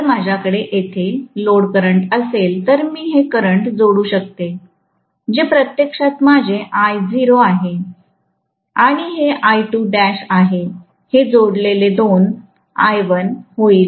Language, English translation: Marathi, If I have the load current here, then I can add this current which is actually my I naught and this is I2 dash, these two added together will make up for I1